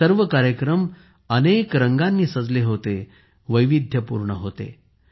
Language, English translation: Marathi, These programs were adorned with a spectrum of colours… were full of diversity